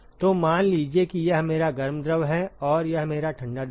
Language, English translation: Hindi, So, supposing if this is my hot fluid and this is my cold fluid